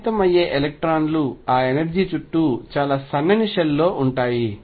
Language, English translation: Telugu, Electrons that are going to affected are going to be in a very thin shell around that energy